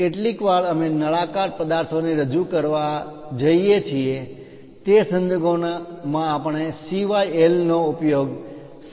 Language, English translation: Gujarati, Sometimes, we might be going to represent cylindrical objects in that case we use CYL as cylinders